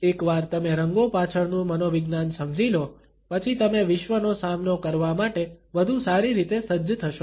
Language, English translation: Gujarati, Once you understand the psychology behind colors, you will be better equipped to take on the world